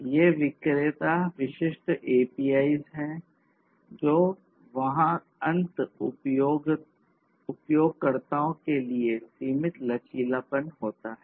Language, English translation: Hindi, And so because these are vendor specific API’s there is limited flexibility that the end users have